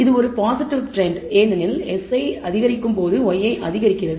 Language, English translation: Tamil, This is a positive trend because when x i increases y i increases